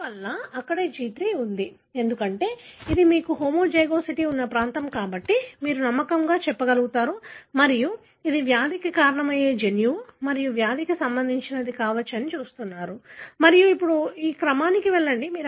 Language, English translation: Telugu, 1: Therefore, that is where the G3 is and likely, because that is also the region where you have homozygosity and therefore, you will be able to confidently tell and this is likely the gene that could cause the disease and is involved in a disease that you are looking at and now you go on sequence